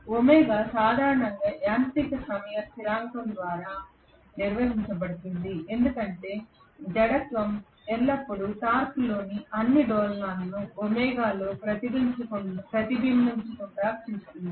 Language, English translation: Telugu, Omega is generally governed by mechanical time constant because the inertia will always make sure that all the oscillations in the torque will not be reflected up on in omega